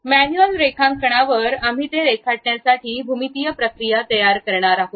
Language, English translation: Marathi, At manual drawing, we are going to construct a geometric procedure to draw that